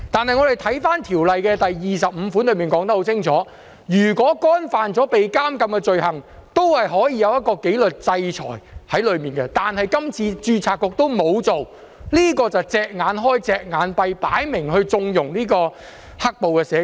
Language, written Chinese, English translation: Cantonese, 可是，《條例》第25條已清楚說明，如果干犯可被監禁的罪行，註冊局也可作出紀律制裁，但註冊局這次沒有這樣做，是"隻眼開，隻眼閉"，明顯地在縱容"黑暴"社工。, Nonetheless it is stipulated clearly in section 25 of the Ordinance that if a social worker has committed any offence which is punishable with imprisonment the Board may take disciplinary action . Yet the Board did not do so this time and instead turned a blind eye to it which is obviously harbouring violent social workers